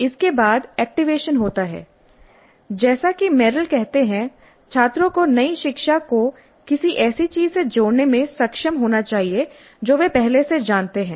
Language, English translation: Hindi, Then it is followed by the activation which as Merrill says the students must be able to link the new learning to something they already know